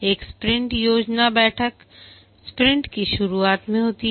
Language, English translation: Hindi, One is the sprint planning meeting which occurs at the start of a sprint